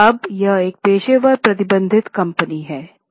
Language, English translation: Hindi, Now this was a professionally managed company